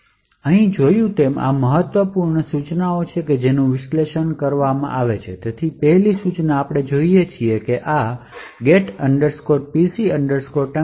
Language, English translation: Gujarati, As we see over here these are the important instructions which we have to analyse, so first instruction we see is that there is a call to this get pc thunk